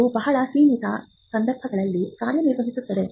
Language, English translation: Kannada, This operates in very limited circumstances